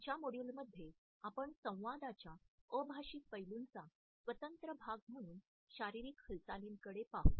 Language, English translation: Marathi, In our next module we would look at kinesics as an independent part of nonverbal aspects of communication